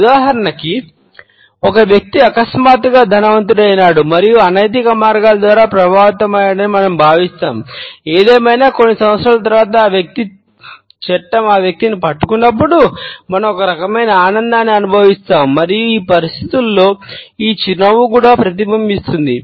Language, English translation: Telugu, For example; we may feel that a person has become suddenly rich and influential by unethical means; however, when after a couple of years the law is able to reach that individual and nabs him then we feel some type of an enjoyment and this smile is also reflected in these situations